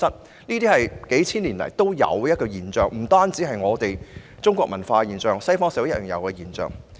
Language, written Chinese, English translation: Cantonese, 同性戀是數千年來皆存在的現象，不但是中國社會的現象，西方社會亦然。, Homosexuality is something that has been in existence for several thousand years not only in Chinese societies but also in Western ones